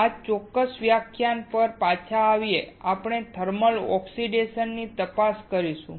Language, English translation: Gujarati, Coming back to this particular lecture, we will look into thermal oxidation